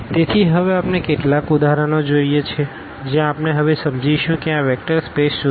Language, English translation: Gujarati, So, now we go through some of the examples where we will understand now better what is this vector space